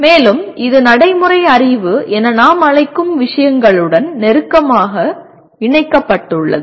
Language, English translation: Tamil, And it is also closely linked with what we call subsequently as procedural knowledge